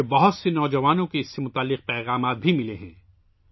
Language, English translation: Urdu, I have received messages related to this from many young people